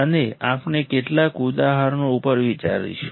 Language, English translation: Gujarati, And we will think some examples